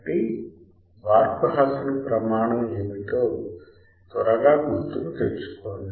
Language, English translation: Telugu, So, to quickly recall what is Barkhausen criteria